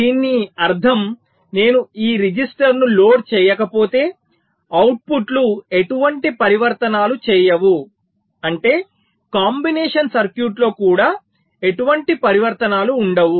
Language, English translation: Telugu, which means if i do not load this register, the outputs will not be making any transitions, which means within the combinational circuit also there will not be any transitions